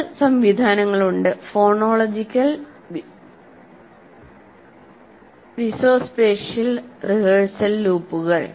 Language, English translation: Malayalam, And there are two mechanisms, what you call phonological and visuospatial rehearsal loops